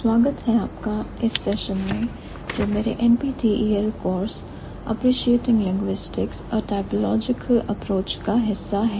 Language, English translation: Hindi, Hi, hello everyone, welcome to this session of my NPTL course, Appreciating Linguistics or Typological approach